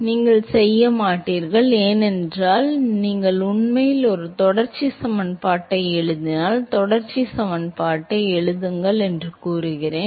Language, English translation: Tamil, you will not because if you actually write a continuity equation supposing, you say write continuity equation